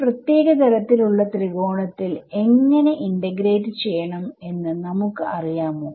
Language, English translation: Malayalam, Do we know how to integrate over a special kind of triangle, supposing I give you a unit triangle ok